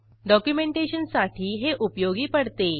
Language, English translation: Marathi, It is useful for documentation